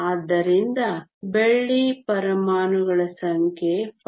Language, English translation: Kannada, So, the number of silver atoms is 5